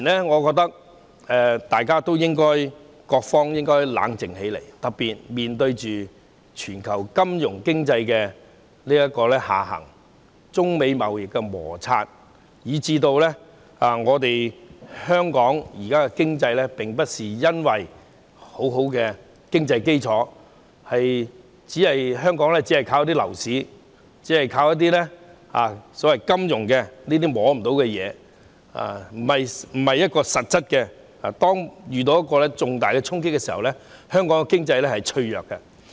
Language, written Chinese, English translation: Cantonese, 我覺得當前各方面應該冷靜起來，特別面對全球金融經濟下行等中美貿易摩擦問題，香港現時沒有很穩固的經濟基礎，只靠樓市和金融等非實質的行業支撐，一旦遇到重大衝擊，香港的經濟是脆弱的。, I think all sectors should calm down at this moment . Particularly in the face of the global financial and economic downturn as well as trade frictions between China and the United States the Hong Kong economy remains fragile under strong attacks as it merely relies on non - substantial industries such as real estate and finance without a solid economic foundation